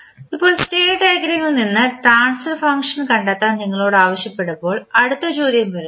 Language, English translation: Malayalam, Now, the next question comes when you are asked to find the transfer function from the state diagram